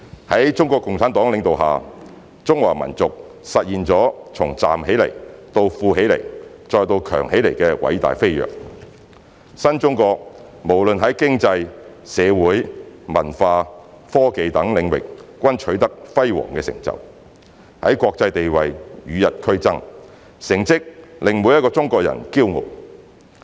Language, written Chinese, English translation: Cantonese, 在中國共產黨領導下，中華民族實現了從站起來到富起來，再到強起來的偉大飛躍，新中國無論在經濟、社會、文化、科技等領域均取得輝煌成就，在國際地位與日俱增，成績令每一個中國人驕傲。, Under the leadership of CPC China has stood up grown prosperous and become strong . Every Chinese takes pride in the remarkable achievements made by the new China on the economic social cultural and technological fronts and in its ever increasing international standing and influence